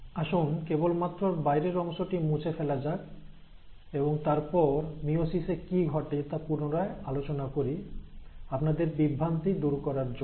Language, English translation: Bengali, So let me just erase this outer bit again, and then come back to what happens in meiosis a little more in clarity, so that it clarifies your confusion again